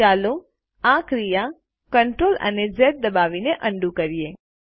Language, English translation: Gujarati, Lets undo this by pressing CTRL and Z keys